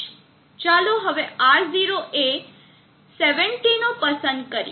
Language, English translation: Gujarati, Let us choose now R0 of 70